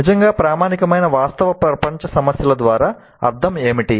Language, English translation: Telugu, Now what really we mean by the authentic real world problems